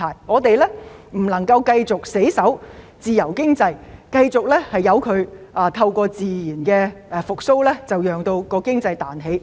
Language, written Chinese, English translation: Cantonese, 我們不能死守自由經濟，繼續透過自然復蘇，讓經濟彈起。, We cannot stick to the free economy and continue to rely on natural recovery for economic revival